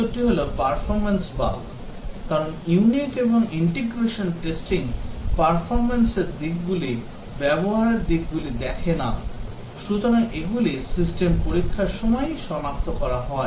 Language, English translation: Bengali, The answer is performance bugs, because unit and integration do not look at performance aspects, usability aspects, so these are detected during system testing